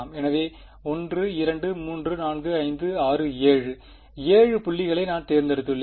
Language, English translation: Tamil, So, 1 2 3 4 5 6 7; 7 points I have been chosen